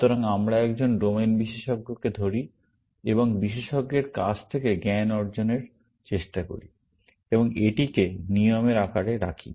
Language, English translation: Bengali, So, we catch a domain expert and try to get knowledge out of expert, and put it in the form of rules